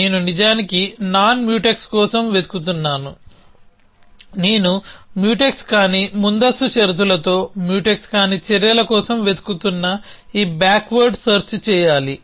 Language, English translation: Telugu, I am looking for non Mutex actually, so I need to do this backward search looking for non Mutex actions with non Mutex preconditions